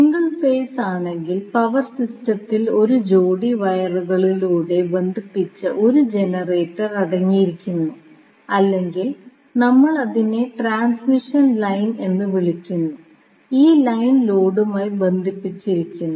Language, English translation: Malayalam, So, in case of single phase the power system we consist of 1 generator connected through a pair of wires or we call it as transmission line and this line is connected to load